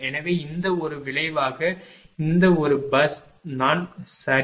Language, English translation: Tamil, So, resultant of this one result of the this one this is bus i right